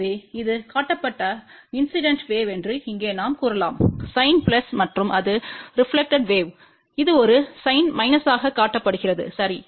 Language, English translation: Tamil, So, here we can say that this is the incident wave which is shown by the sign plus and this is the reflected wave which is shown by a sign minus, ok